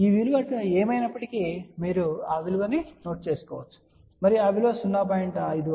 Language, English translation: Telugu, Whatever is this value, you can note down that value and that value will be 0